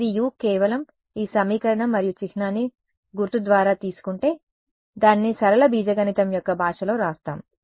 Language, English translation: Telugu, It becomes u just take this equation and symbol by symbol let us write it on the language of linear algebra